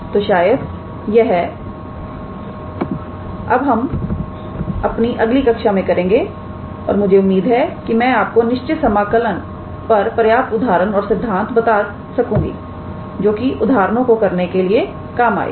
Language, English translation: Hindi, So, will probably do that in our next class and I hope I was able to give you sufficient examples and theories on improper integral will work out for examples in your assignment sheet as well